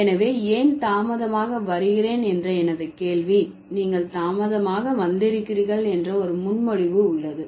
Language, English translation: Tamil, So, when I say why did you arrive late, there is a preposition that there is a presupposition that you have arrived late, right